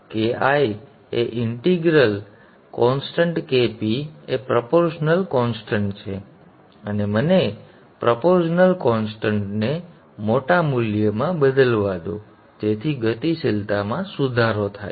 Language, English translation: Gujarati, Now KI is the integral constant KP is the proportional constant and let me change the proportional constant to a larger value so that the dynamics is improved